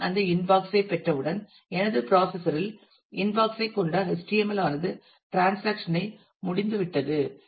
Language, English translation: Tamil, And as soon as I get that inbox the HTML containing the inbox on my browser that transaction has also been over